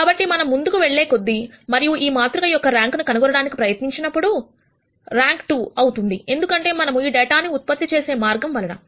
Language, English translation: Telugu, So, when we go ahead and try to nd the rank of this matrix, the rank of the matrix will turn out to be 2 and it will turn out to be 2 because, of the way we have generated this data